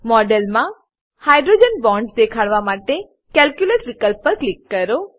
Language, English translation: Gujarati, Click on Calculate option to show the hydrogen bonds in the model